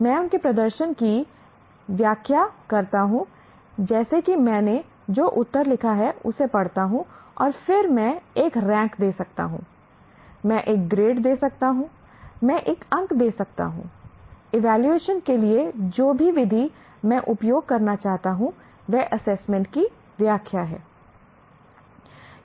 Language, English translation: Hindi, Like I read the answer that he has written and then I can give a rank, I can give a grade, I can give a mark, whatever method that I want to use, evaluation is an interpretation of assessment